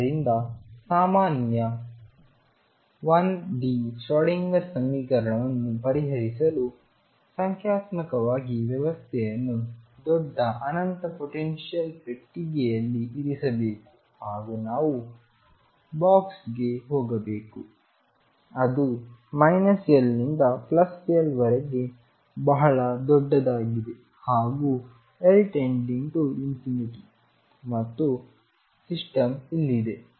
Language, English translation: Kannada, So, to conclude this lecture, to solve a general 1 D Schrodinger equation numerically put the system in large infinite potential box and by that you understand now that I am going to box which is huge minus L and L, L tending to infinity and system is somewhere here